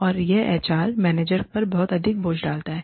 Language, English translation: Hindi, And it just puts a lot of burden, on the HR manager